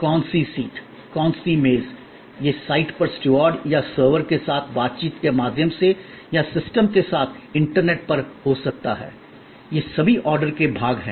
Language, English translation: Hindi, The reservation which seat, which table, all those can be whether on site through the interaction with the steward or servers or on the internet with the system, these are all parts of the order take